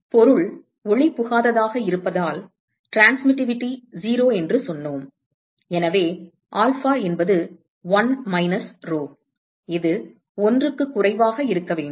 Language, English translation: Tamil, And we said that transmittivity is 0, because the object is opaque, so which means that alpha is 1 minus rho, which has to be less than 1 right